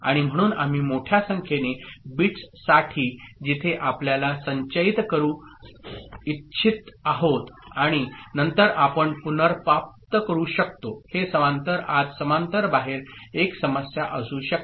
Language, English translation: Marathi, And so for larger number of bits where we want to store and then we retrieve, these parallel in parallel output may be an issue ok